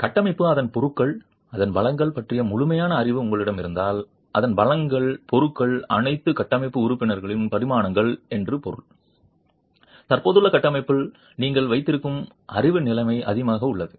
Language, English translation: Tamil, In the sense that if you have a thorough knowledge on the structure, its materials, the strengths of its materials, the dimensions of all the structural members, then the knowledge level that you have on the existing structure is rather high